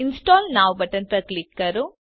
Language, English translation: Gujarati, Click on the Install Now button